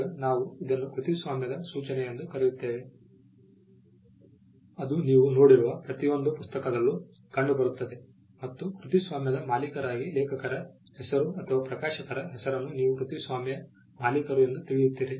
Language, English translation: Kannada, Now this is what we call a copyright notice which you will find in almost every book that you would come across, either there is the name of the author as the copyright owner or you will find the name of the publisher as the copyright owner